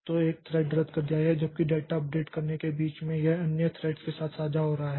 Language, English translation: Hindi, So, a thread canceled while in the midst of operating data it is sharing with other threats